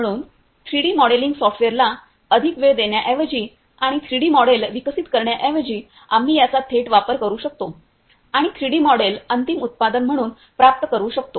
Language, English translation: Marathi, So, instead of giving more time to 3D modelling software and developing the 3D models, we can directly use this and obtain the 3D models as a final product